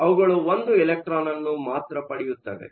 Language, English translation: Kannada, So, they can only take one electron